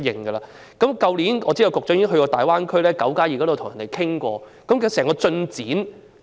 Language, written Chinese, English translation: Cantonese, 我知道去年局長曾到訪大灣區討論"九加二"的問題，究竟進展如何？, I know that last year the Secretary visited the Greater Bay Area to discuss the issue of Nine plus Two